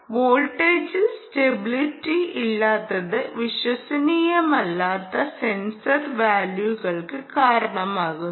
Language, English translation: Malayalam, so challenges was: there was instability in the voltage causing unreliable sensor values